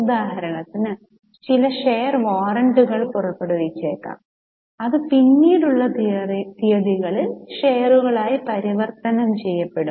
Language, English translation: Malayalam, For example, there could be some share warrants issued which will get converted into shares at a latter date